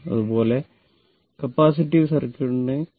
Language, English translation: Malayalam, So, this is a purely capacitive circuit